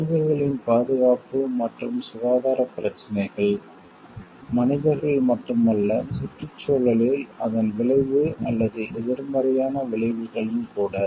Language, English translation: Tamil, The safety and health issues of not only the animals, not only the humans, but also its effect or negative consequences on the environment at large